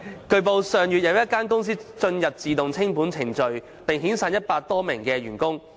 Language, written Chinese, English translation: Cantonese, 據報，上月有一間公司進入自動清盤程序並遣散一百多名員工。, It has been reported that last month a company was placed into voluntary liquidation and made more than 100 employees redundant